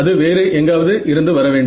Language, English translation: Tamil, That has to come from somewhere